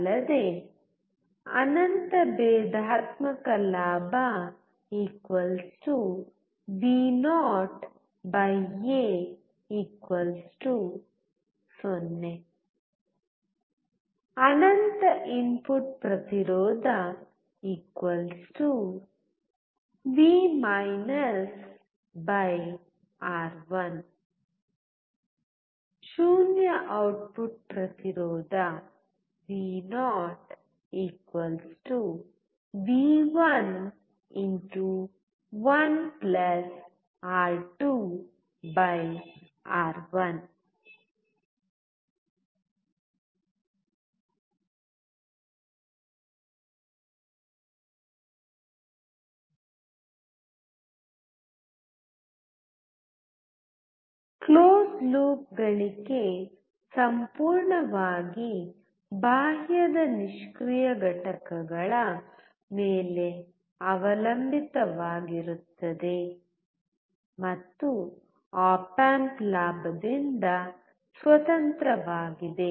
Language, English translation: Kannada, Also, Infinite differential gain=vo/A=0 Infinite input impedance =v /R1 Zero output impedance : vo=v1*(1+(R2/R1)) Closed loop gain depends entirely on external passive components and is independent of op amp gain